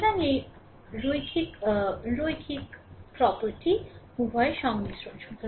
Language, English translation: Bengali, So, this linearity property is a combination of both